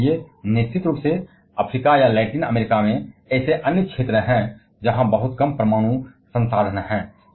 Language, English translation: Hindi, And therefore, of course, there are other areas like in Africa or in Latin America there are very very few nuclear resources